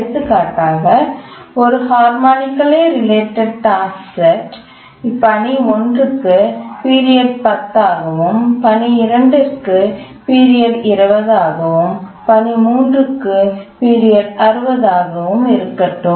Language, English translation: Tamil, Just to give an example of a harmonically related task set, let's say for the T1, the task one, the period is 10, for T is task 2, the period is 20, and for task 3 the period is 60